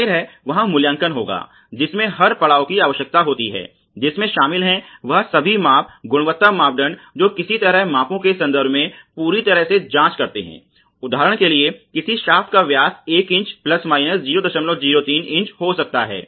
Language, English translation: Hindi, Obviously, there would be appraisal, which is needed at every stage which includes measurements all quality parameters are somehow subjected to you know a thorough check in terms of some measurements for example, the diameter of shaft may be 1 inch ± 0